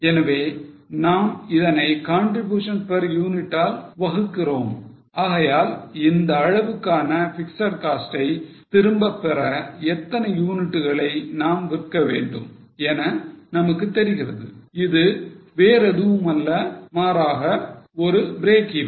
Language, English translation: Tamil, So, we divide it by contribution per unit so that we know that how many units you need to sell to recover that much of fixed cost which is nothing but a break even